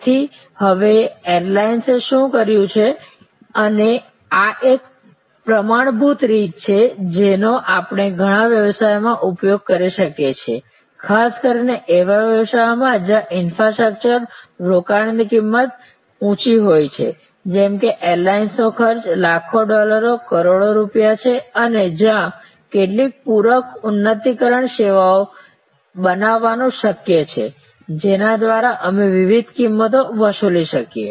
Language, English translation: Gujarati, Now, what the airlines have done therefore, and this is one of the standard techniques we can use in many businesses, particularly in those business where the infrastructure investment is a high cost, like an airline costs in millions of dollars, crores of rupees and where it is possible to create some supplementary enhancing services by which we can charge different prices